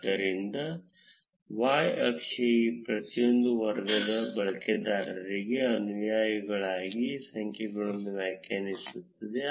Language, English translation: Kannada, So, the y axis would define the number of followers for each of these categories of users